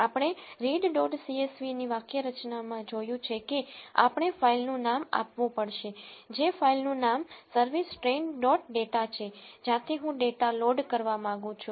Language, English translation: Gujarati, As we have seen in the syntax of read dot csv we have to give the filename that is the filename service train dot data from which I want to load the data